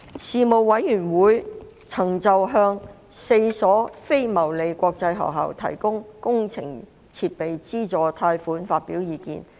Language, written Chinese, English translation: Cantonese, 事務委員會曾就向4所非牟利國際學校提供工程設備資助貸款發表意見。, The Panel expressed views on granting capital assistance loan to four non - profit - making international schools